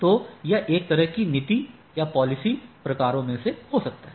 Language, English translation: Hindi, So, that that can be one such on such policy type of things